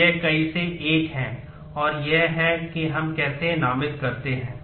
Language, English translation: Hindi, So, it is one to many and this is how we designate